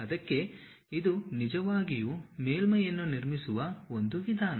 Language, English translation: Kannada, This is the way one can really construct a surface